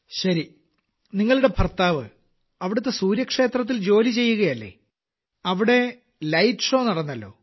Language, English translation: Malayalam, Well, does your husband work at the Sun Temple there